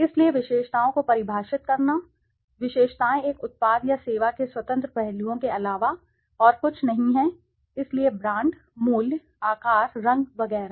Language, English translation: Hindi, So, defining attributes, attributes are nothing but the independent aspects of a product or service, so brand, price, size, color etcetera